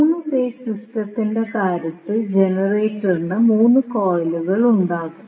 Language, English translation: Malayalam, So, the same way in case of 3 phase system the generator will have 3 coils